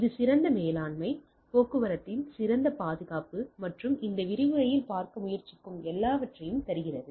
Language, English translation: Tamil, So, that it gives better manageability better security of the traffic and all those things that will try to see in this lecture